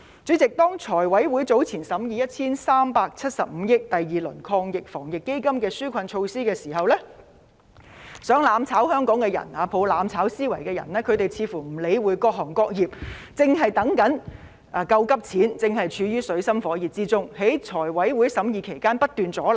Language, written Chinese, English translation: Cantonese, 主席，當財務委員會早前審議涉及 1,375 億元的第二輪防疫抗疫基金的紓困措施時，企圖"攬炒"香港的人、抱着"攬炒"思維的人似乎不理會各行各業正在等待"救急錢"，正處於水深火熱之中，而在財委會審議該項目期間不斷阻撓。, Hong Kong will only be pushed into the abyss of disaster . Chairman when the Finance Committee FC considered the second round of relief measures under AEF worth 137.5 billion people who attempted to burn together with Hong Kong and embraced the mentality of mutual destruction kept obstructing the scrutiny of the item by FC . Seemingly they did not care about the fact that people from all walks of life who were in dire straits are waiting for the emergency money